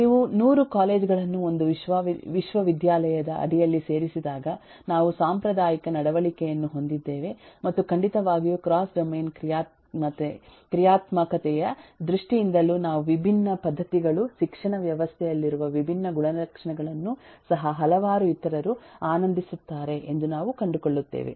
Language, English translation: Kannada, when you put 100 colleges together under a university, we have a traditional behavior and certainly uh also in terms of cross domain functionality, we find that uh, different eh practices, different eh properties that are held in the education system are also enjoyed by several other